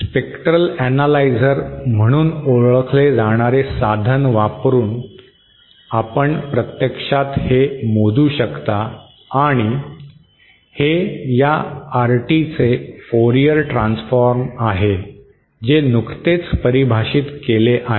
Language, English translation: Marathi, This is something you can actually measure using an instrument called as spectrum analyser andÉ Éthis is Fourier transform of this RT that is just defined